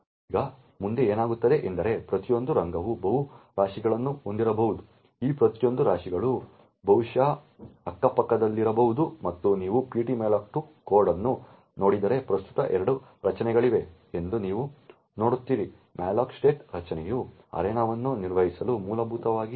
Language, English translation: Kannada, Now therefore in one process we could have multiple arena that are present, now if you look at the ptmalloc2 code you would see that there is a structure known as malloc state which is used to manage the arenas, now each arena can have multiple heaps